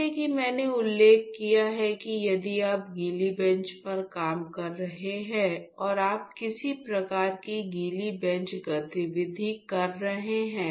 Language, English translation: Hindi, Like I mentioned if you are working on wet bench and your and you are doing some sort of wet bench activity